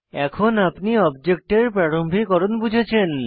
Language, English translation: Bengali, Now, you would have understood what object initialization means